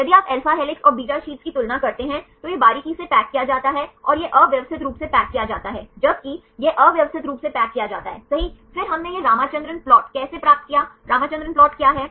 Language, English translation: Hindi, If you compare to the alpha helixes and beta sheets right this is closely packed and this is loosely packed, whereas, it is loosely packed right then how we obtained this Ramachandran plot, what is the Ramachandran plot